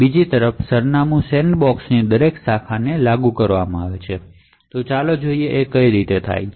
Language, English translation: Gujarati, The Address Sandboxing on the other hand enforces every branch and let us sees how this is done